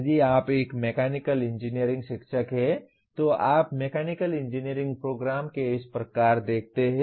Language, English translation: Hindi, If you are a Mechanical Engineering teacher you look at a Mechanical Engineering program as such